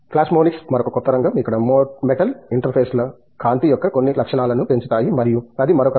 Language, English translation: Telugu, Plasmonics is another new area, where metal interfaces can enhance certain properties of light and so that is another area